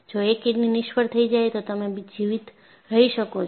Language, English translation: Gujarati, If one kidney fails, you can still survive